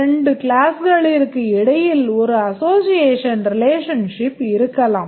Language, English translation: Tamil, Between two classes and association relationship may exist